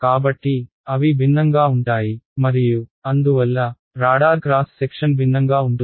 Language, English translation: Telugu, So, they are different and therefore, the radar cross section is going to be different